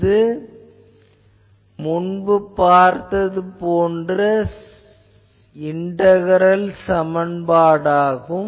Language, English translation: Tamil, So, that is why it is an integral equation